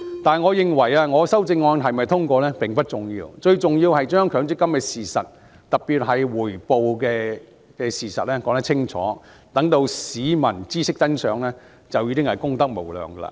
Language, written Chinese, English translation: Cantonese, 但我認為，我的修正案是否通過並不重要，最重要是將強積金的事實，特別是把回報率的事實說清楚，讓市民知悉真相，便已功德無量。, However I think that it is not important whether my amendment can be passed . The most important thing is to clarify the facts about MPF especially the rate of return and it would be a most benevolent favour to the public if only people can realize the truth